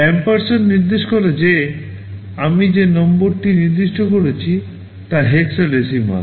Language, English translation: Bengali, The ampersand indicates that the number I am specifying is in hexadecimal